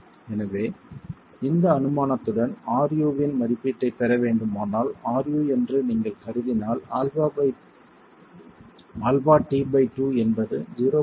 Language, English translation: Tamil, So with this assumption if we were to get an estimate of RU, if we assume that alpha data t, sorry, alpha T by 2 is 0